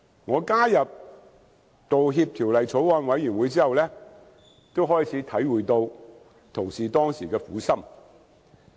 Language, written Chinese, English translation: Cantonese, 我加入《道歉條例草案》委員會後，也開始體會到九鐵同事當時的苦心。, After I have joined the Bills Committee on Apology Bill I began to realize the good intention of my former colleagues at KCRC